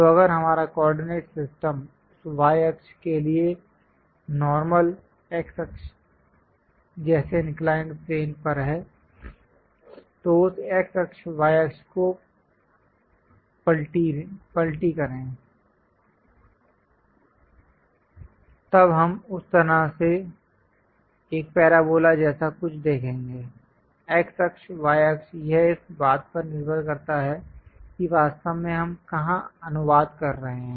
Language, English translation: Hindi, So, if our coordinate system is on the inclined plane like x axis normal to that y axis, flip this x axis, y axis; then we will see something like a parabola in that way, x axis, y axis, it depends on where exactly we are translating